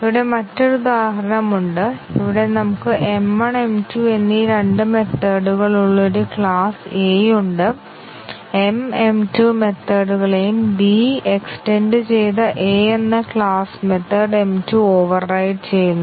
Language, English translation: Malayalam, Here is another example, here we have a class A which was two methods m1 and m2 and m calls m2 methods and class B which extends A overrides the method m2